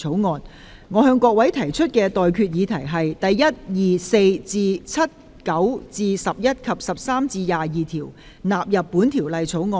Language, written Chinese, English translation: Cantonese, 我現在向各位提出的待決議題是：第1、2、4至7、9至11及13至22條納入本條例草案。, I now put the question to you and that is That clauses 1 2 4 to 7 9 to 11 and 13 to 22 stand part of the Bill